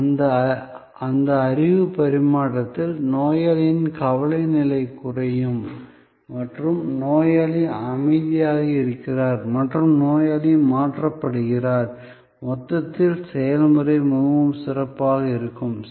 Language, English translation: Tamil, In that knowledge exchange, the anxiety level of the patient will come down and that the patient is calm and the patient is switched, on the whole the procedure will go much better